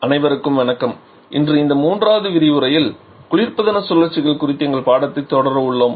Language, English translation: Tamil, Hello everyone so today in this third lecture we are going to continue our discussion on the refrigeration cycles